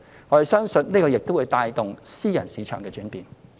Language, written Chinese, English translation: Cantonese, 我們相信這亦會帶動私人市場的轉變。, We believe that this will also help to drive changes in the private market